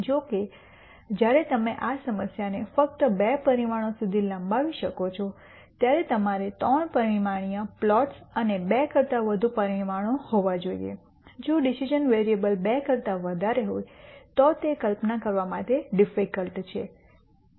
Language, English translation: Gujarati, However, when you just extend this problem to two dimensions then you have to have 3 dimensional plots and in dimensions higher than 2, if the decision variables are more than 2 then it is di cult to visualize